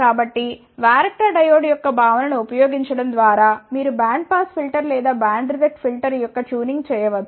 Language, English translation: Telugu, So, by using the concept of the varactor diode, you can do the tuning of the band pass filter or band reject filter